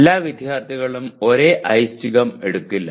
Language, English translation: Malayalam, Same elective will not be taken by all students